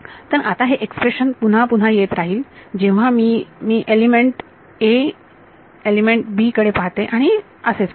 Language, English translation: Marathi, So, now, this expression will keep appearing again and again when I look at element ‘a’ element ‘b’ and so on